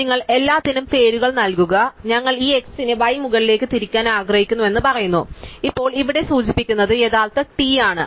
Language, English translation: Malayalam, So, you just give names to everything, so we say that we want to rotate this x down in the y up, now we have are original t pointing here remember